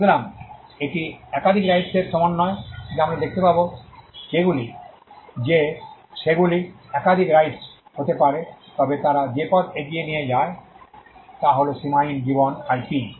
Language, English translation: Bengali, So, it is a combination there are multiple rights we will see that they will be multiple rights, but the way in which they take it forward is to get an unlimited life IP